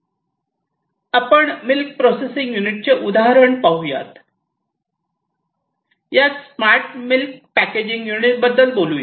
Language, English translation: Marathi, Now this milk packaging unit let us say that you are talking about a smart milk packaging unit